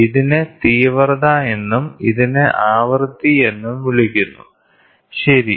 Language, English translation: Malayalam, So, this is called the intensity and this is called the frequency, ok